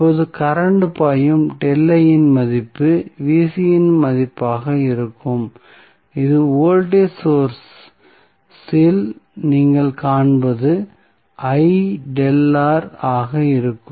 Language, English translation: Tamil, So, now, the value of current flowing delta I would be the value of Vc which you will see in the voltage source would be I into delta R